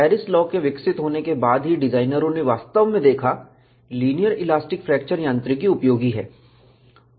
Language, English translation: Hindi, Only after Paris law was developed, designers really looked at, linear elastic fracture mechanics is useful